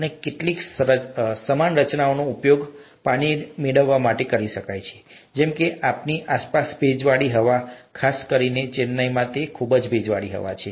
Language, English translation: Gujarati, And, some similar structures can be used to capture water from, like the humid air around us, especially in Chennai it's very humid